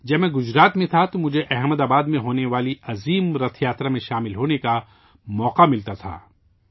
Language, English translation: Urdu, When I was in Gujarat, I used to get the opportunity to attend the great Rath Yatra in Ahmedabad